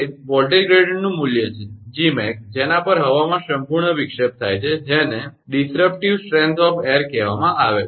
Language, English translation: Gujarati, That is the value of the voltage gradient Gmax at which complete disruption of air occurs right that is called disruptive strength of air